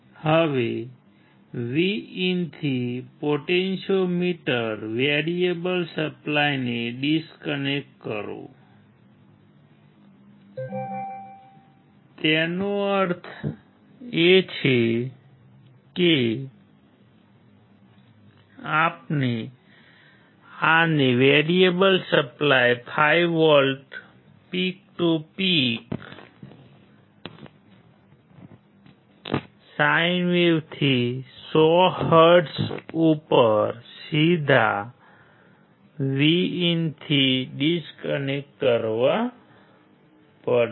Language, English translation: Gujarati, Now, disconnect the potentiometer variable supply from VIN; that means, that we have to disconnect this one from the variable supply 5 volts peak to peak sine wave at 100 hertz directly to VIN